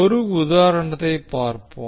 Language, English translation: Tamil, So let's see the example